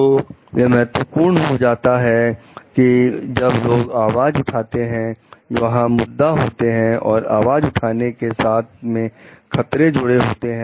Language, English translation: Hindi, So, it is important that when people are voicing, there are issue risks associated with voicing